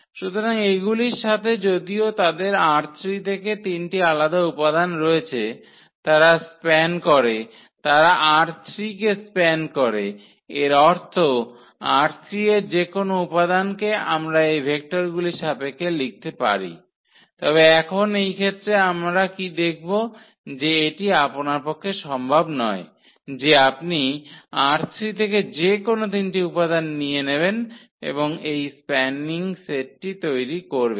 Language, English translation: Bengali, So, with these though they have the three different elements from R 3, they span; they span R 3 means any element of R 3 we can write down in terms of these vectors or in terms of these vectors, but now in this case what we will observe that this is not possible that you take any three elements from R 3 and that will form this spanning set